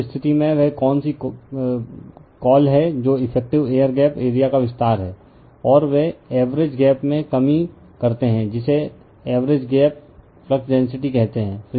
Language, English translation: Hindi, So, in that case, your what you call your that is your enlargement of the effective air gap area, and they decrease in the average gap your what you call average gap flux density